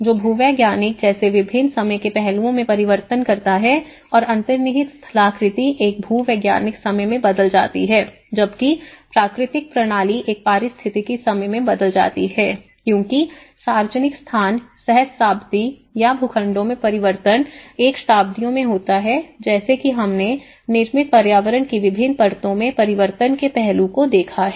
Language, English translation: Hindi, Which changes in different time aspects like the geological, the underlying topography changes in a geological time, whereas, the natural system changes in an ecological time as the public space the changes in the millennia or the plots may be in a centuries like that we have looked at the change aspect in different layers of the built environment